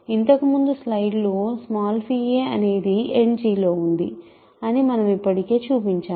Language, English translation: Telugu, We have already checked in the previous slide that phi a lands in End G